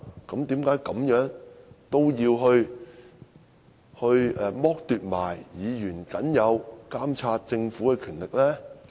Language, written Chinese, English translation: Cantonese, 為何也要剝奪議員僅有監察政府的權力呢？, Why should Members be deprived of their only remaining power to monitor the Government?